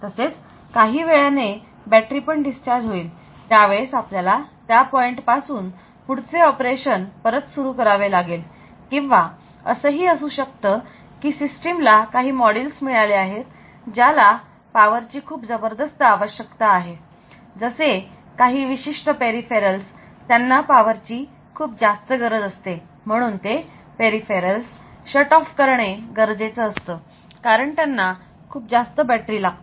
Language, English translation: Marathi, So, that after sometime the battery will also go off so at that time I we will be able to restart the operation from the from that point onwards, so or maybe the system has got some modules which are power hungry particular peripherals their power hungry and those peripherals had to be shutoff they take along the battery